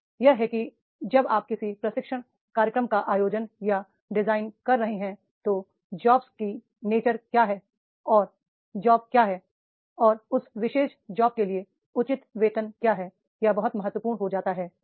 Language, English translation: Hindi, That is when you are organizing or designing a training program for the which nature of jobs and what is the job is there and what is the fair wage for that particular job that becomes very very important